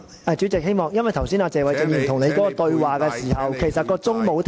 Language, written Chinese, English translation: Cantonese, 主席，請解釋為何剛才謝偉俊議員與你對話時，計時器沒有暫停。, President please explain why the timer was not paused when you were talking to Mr Paul TSE